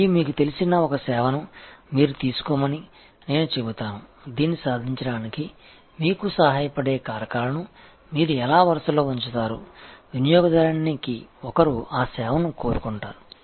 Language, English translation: Telugu, And I will say you take up a service with which you are familiar and see, how you will actually line up the factors that will help you to achieve this what, the customer’s one want that service